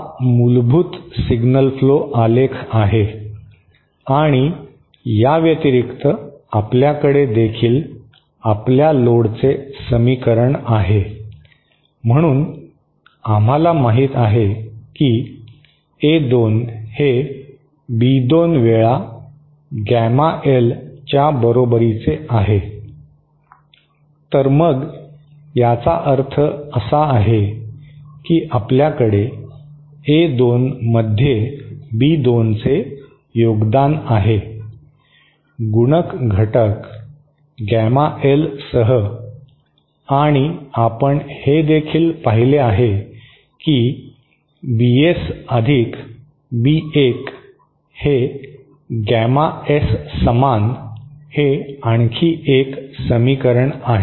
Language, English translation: Marathi, This is the basic signal flow graph diagram and in addition to this, we also have the equation for our load, so we know that A2 is equal to B2 times gamma L, so then what that means is that we have B2 contributing to A2 with the multiplicative factor gamma L and we also have seen that there is another equation A1 equal to BS + B1 gamma S